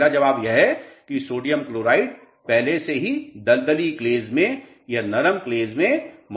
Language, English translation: Hindi, The first answer is already sodium chloride is present in marshy clays or soft clays